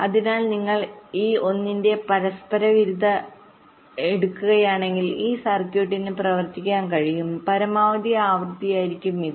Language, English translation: Malayalam, so if you take the reciprocal of this, one by this, this will be the maximum frequency with this circuit can operate